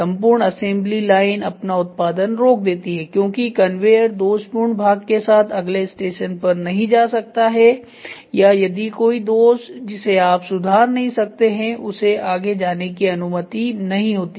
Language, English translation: Hindi, The entire line stops it is production because the conveyor cannot move to the next station with the defective part or if there is a defect which is happening which you could not rectify and it is allowed to move